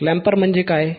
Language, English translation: Marathi, What is clamper